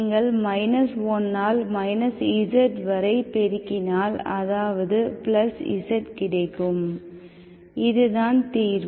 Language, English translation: Tamil, You can multiply multiply with minus1 into minus z, that is plus z, that is the solution